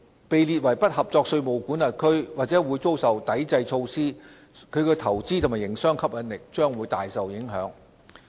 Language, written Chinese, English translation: Cantonese, 被列為"不合作稅務管轄區"或會遭受抵制措施，其投資和營商吸引力將會大受影響。, A tax jurisdiction listed as non - cooperative could be subject to counter - measures which would greatly affect its attractiveness for investment and business